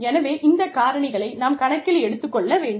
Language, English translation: Tamil, So, we need to keep, all these factors, into account